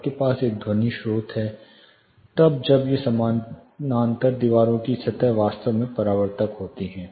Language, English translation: Hindi, You have a sound source then when these parallel wall surfaces are really reflective, certain frequency